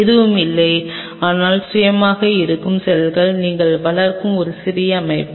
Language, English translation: Tamil, Which is nothing, but a small set up where you are growing the cells which is self contained